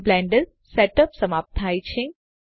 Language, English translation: Gujarati, This completes the Blender Setup